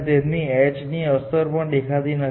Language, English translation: Gujarati, You do not even look at the effect of h